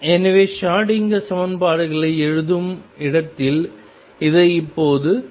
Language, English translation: Tamil, So, let us now solve this where writing the Schrodinger equations